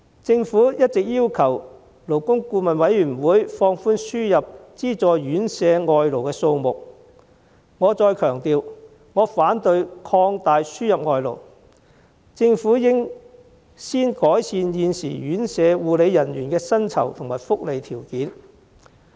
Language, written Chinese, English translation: Cantonese, 政府一直要求勞工顧問委員會放寬輸入資助院舍外勞的數目，我再強調，我反對擴大輸入外勞，政府應先改善現時院舍護理人員的薪酬和福利條件。, The Government has been requesting the Labour Advisory Board to relax the number of foreign workers to be imported for subsidized residential care homes but I would like to reiterate that I oppose expanding the importation of foreign labour and the Government should first improve the remuneration packages of the existing care staff of residential care homes